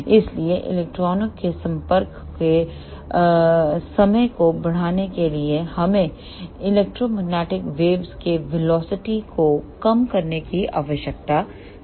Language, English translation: Hindi, So, to increase the time of interaction of electrons, we need to decrease the velocity of electromagnetic waves